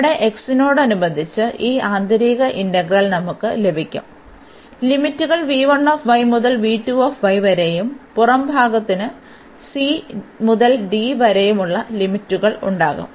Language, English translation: Malayalam, So, here we will have this integral the inner one with respect to x, the limits will be v 1 y to v 2 y and the outer 1 will have the limits from c to d